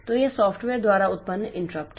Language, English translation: Hindi, So, these are the interrupts generated by the software